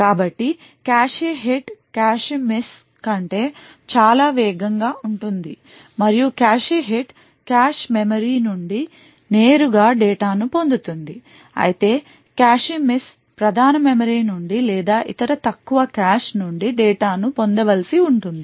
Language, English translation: Telugu, So a cache hit is considerably faster than a cache miss and the reason being that the cache hit fetches data straight from the cache memory while a cache miss would have to fetch data from the main memory or any other lower cache that may be present